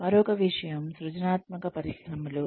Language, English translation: Telugu, Another thing is the creative industries